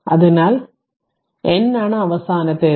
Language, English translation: Malayalam, So, and n is the last one right